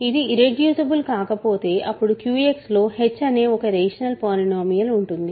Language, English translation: Telugu, If it is not irreducible, then there exists a rational polynomial h in Q X